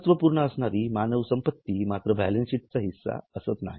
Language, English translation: Marathi, Human assets are important but not part of balance sheet